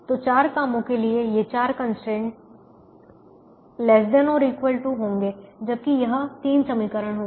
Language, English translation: Hindi, so these four constraints for the four jobs will be less than or equal to, whereas this three will be exactly equations